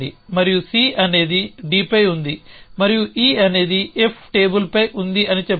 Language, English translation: Telugu, And let a say C is on D and then E is on the table Ff is on the table